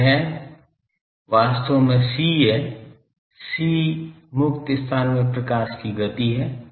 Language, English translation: Hindi, So, that is actually c, c is the speed of light in free space